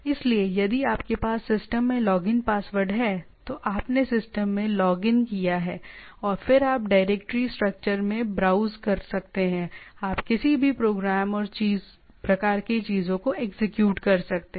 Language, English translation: Hindi, So, you have a if you are having a login password into the system, then you logged into the system and then you can browse to the directory structure, you can execute any program and type of things right